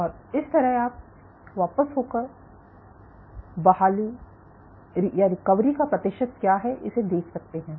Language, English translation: Hindi, So, you can backtrack what is the percentage recovery